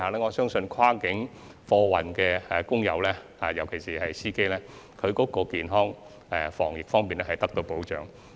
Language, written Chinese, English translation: Cantonese, 我相信，跨境貨運的工友，特別是司機，健康及防疫方面將會得到保障。, I believe that the health and anti - epidemic protection of cross - boundary workers especially drivers will be safeguarded